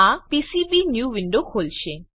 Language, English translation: Gujarati, This will open PCBnew window